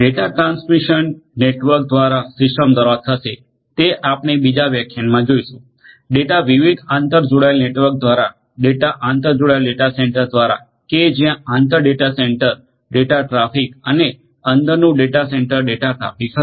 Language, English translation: Gujarati, Data transmission through the network through the system and we will see in another lecture, how the data can be sent through the network through different interconnected data centres which will have inter data centre traffic data centre traffic data traffic and also intra data centre data centre data traffic